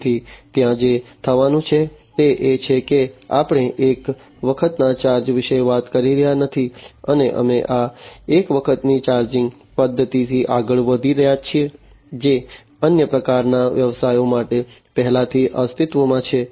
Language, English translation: Gujarati, So, there so what is going to happen is we are not talking about a one time kind of charge, and we are going beyond this one time kind of charging mechanism that already exists for other types of businesses